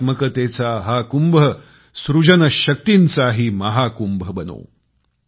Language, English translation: Marathi, May this Kumbh of aesthetics also become the Mahakumbh of creativity